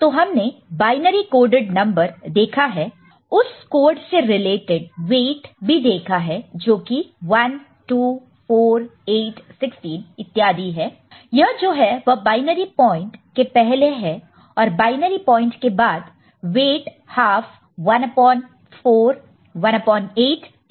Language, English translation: Hindi, So, we have seen binary coded number and we have seen that the weight associated with binary code is 1, 2, 4, 8, 16, so on and so forth before the binary point and half, 1 upon 4, 1 upon 8 etcetera after the binary point